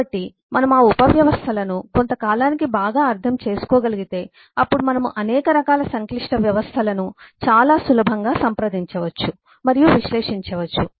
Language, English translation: Telugu, so if we can understand those subsystems well over a period of time then we can approach and analyze several varieties of complex systems quite easily